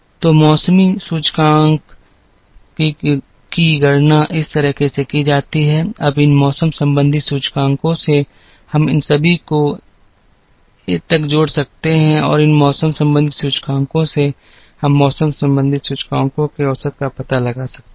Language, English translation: Hindi, So, the seasonality indices are calculated this way, now from these seasonality indices, we can all these will have to add up to 1 and from these seasonality indices, we can find out the average of the seasonality indices